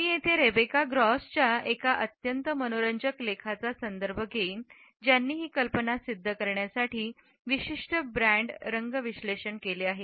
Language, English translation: Marathi, I would refer here to a very interesting article by Rebecca Gross who has analyzed certain brand colors to prove this idea